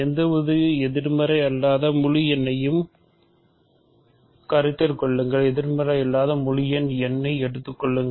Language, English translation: Tamil, So, fix an any positive any non negative integer consider; so, fix an non negative integer n